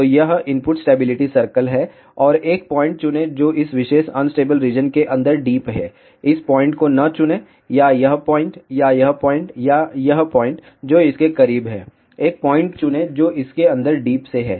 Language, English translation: Hindi, So, this is the input stability circle and choose a point which is deep inside this particular unstable region, do not choose this point; or this point; or this point; or points which are close to this, choose a point which is deeply inside this